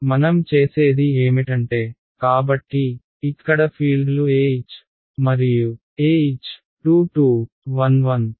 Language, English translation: Telugu, What I do is; so, here fields where E H and E H 22 11